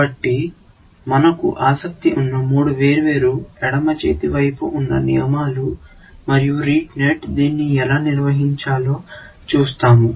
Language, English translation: Telugu, So, just three different left hand sides that we are interested in, and we will see how Rete net handled it